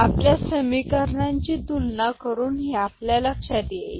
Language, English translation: Marathi, This is what we can understand by comparing the equations